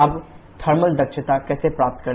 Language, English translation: Hindi, Now how to get the thermal efficiency